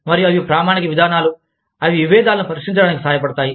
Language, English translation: Telugu, And, they are standard procedures, that help resolve, conflicts